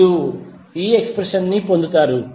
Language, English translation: Telugu, You will get this expression